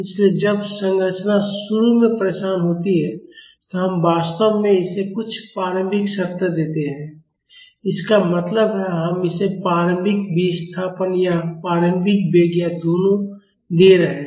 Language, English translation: Hindi, So, when the structure is disturbed initially we are in fact, giving it some initial conditions; that mean, we are giving it an initial displacement or an initial velocity or both